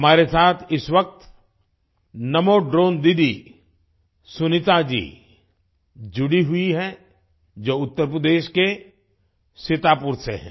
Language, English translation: Hindi, Namo Drone Didi Sunita ji, who's from Sitapur, Uttar Pradesh, is at the moment connected with us